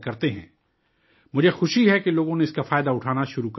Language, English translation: Urdu, I am glad that people have started taking advantage of it